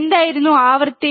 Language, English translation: Malayalam, What was frequency